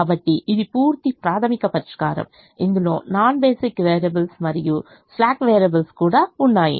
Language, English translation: Telugu, so this is the complete primal solution, which also includes the non basic variables as well as the slack variables